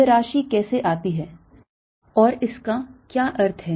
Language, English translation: Hindi, how does this quantity come about and what does it mean